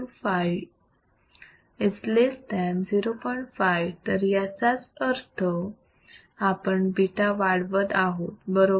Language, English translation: Marathi, 5 that means, we are increasing beta correct